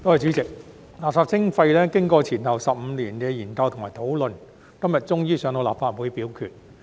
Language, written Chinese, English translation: Cantonese, 主席，垃圾徵費經過前後15年的研究和討論，今天終於交到立法會表決。, President after 15 years of study and discussion the legislation on waste charging is finally submitted to the Legislative Council for voting today